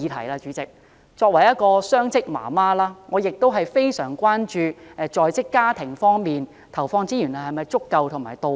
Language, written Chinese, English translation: Cantonese, 我作為雙職母親，非常關注政府就在職家庭方面投放的資源是否足夠和到位。, As a working mother I am greatly concerned about whether the resources provided by the Government for working families are sufficient and on point